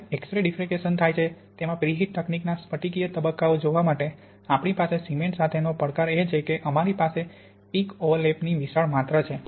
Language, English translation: Gujarati, Now X ray diffraction is where the preheat technique for looking at the crystalline phases, the challenge we have with cement is we have a huge amount of peak overlap